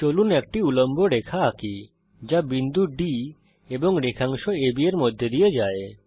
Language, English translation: Bengali, Lets now construct a perpendicular line which passes through point D and segment AB